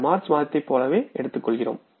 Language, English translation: Tamil, We take it like this month of March